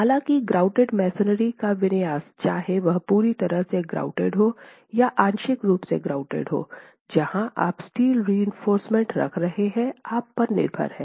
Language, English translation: Hindi, However, the configuration of the grouted masonry, whether it's fully grouted or partially grouted, where you're placing steel reinforcement is again left to you